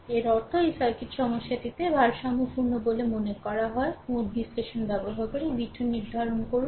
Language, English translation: Bengali, This means these circuit is balanced in the problem it is said determine v 2 using node analysis